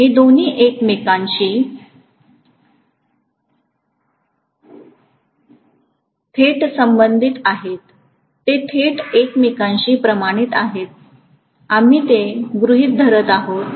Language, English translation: Marathi, The two are directly related to each other, directly proportional to each other, we are assuming that